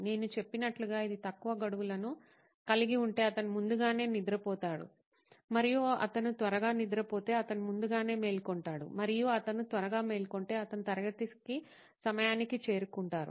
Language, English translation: Telugu, So as I said, this relies on the assumption that if they had less deadlines, they would sleep early and if they slept early, they would wake up early and if they wake up early, they are on time for the class